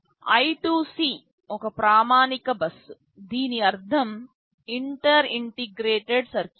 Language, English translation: Telugu, I2C is a standard bus, this means Inter Integrated Circuit